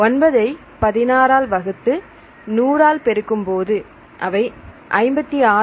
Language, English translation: Tamil, So, 9 by 16 into 100 this equal to see 56